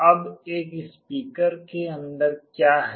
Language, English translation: Hindi, Now, what is there inside a speaker